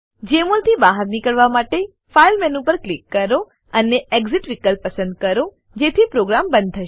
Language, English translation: Gujarati, To exit Jmol, click on the File menu and select Exit option, to exit the program